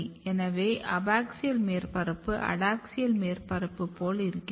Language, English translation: Tamil, So, they basically promote abaxial surface what happens and if you look their adaxial surface